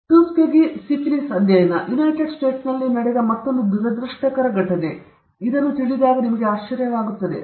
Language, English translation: Kannada, The Tuskegee syphilis study, another unfortunate incident that had happened in the United States; one will be surprised to know this